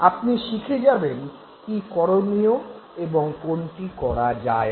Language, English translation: Bengali, You learn exactly this is what is doable and this is what is not